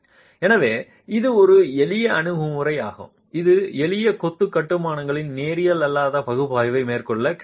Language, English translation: Tamil, So this is one simple approach that is available for carrying out nonlinear analysis in simple masonry constructions